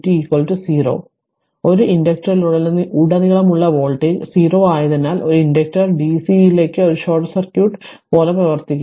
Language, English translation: Malayalam, Therefore, the voltage across an inductor is 0 thus an inductor acts like a short circuit to dc right